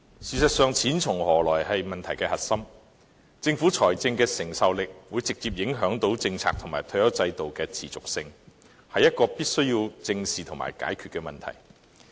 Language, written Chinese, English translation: Cantonese, 事實上，"錢從何來"是問題的核心，政府財政的能力會直接影響政策及退休制度的持續性，這是必須要正視和解決的問題。, As a matter of fact the source of finance remains the crux of the issue . The financial strength of the Government has a direct bearing on the public policy on the retirement scheme and its sustainability . This is a problem we must face squarely and iron out